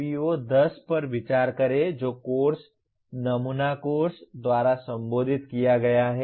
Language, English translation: Hindi, Consider the PO10 which is addressed by the course, sample course